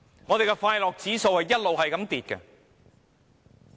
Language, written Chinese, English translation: Cantonese, 我們的快樂指數一直下跌。, Our happiness index has been declining